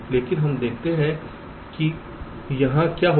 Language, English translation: Hindi, but lets see what will happen here